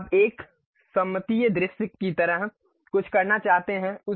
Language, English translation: Hindi, Now, you would like to have something like isometric view